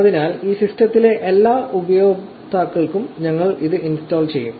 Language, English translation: Malayalam, So, we will be in installing it for all users on this system